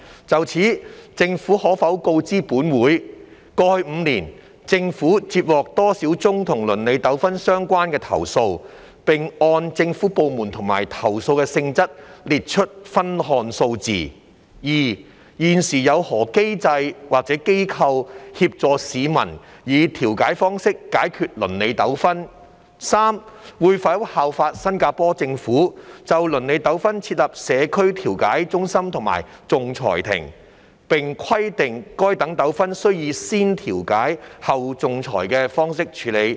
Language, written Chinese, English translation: Cantonese, 就此，政府可否告知本會：一過去5年，政府接獲多少宗與鄰里糾紛相關的投訴，並按政府部門和投訴的性質列出分項數字；二現時有何機構或機制，協助市民以調解方式解決鄰里糾紛；及三會否效法新加坡政府，就鄰里糾紛設立社區調解中心和仲裁庭，並規定該等糾紛須以"先調解，後仲裁"的方式處理？, In this connection will the Government inform this Council 1 of the number of complaints relating to neighbourhood disputes received by the Government in the past five years with a breakdown by government department and nature of complaints; 2 of the institutions or mechanisms currently in place to help members of the public resolve neighbourhood disputes by way of mediation; and 3 whether it will by following the practice of the Singapore Government establish a community mediation centre and tribunal for neighbourhood disputes and require that such disputes must be dealt with in the manner of mediation first arbitration next?